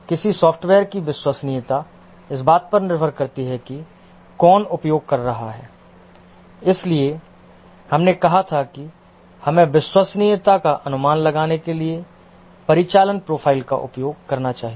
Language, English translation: Hindi, The reliability of a software depends on who is using and therefore we had said that we must use the operational profile to estimate the reliability